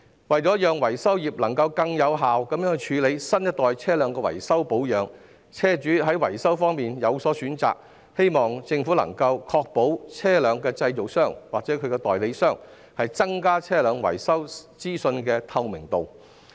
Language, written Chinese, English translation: Cantonese, 為了讓維修業能更有效處理新一代車輛的維修保養，以及讓車主在維修方面有所選擇，我希望政府能確保車輛製造商或其代理商會增加車輛維修資訊的透明度。, To enable the vehicle repair trade to handle maintenance and repair of vehicles of new models more efficiently and to provide vehicle owners with a choice in maintenance and repair I hope the Government can ensure that vehicle manufacturers or their agents will enhance the transparency of vehicle repair information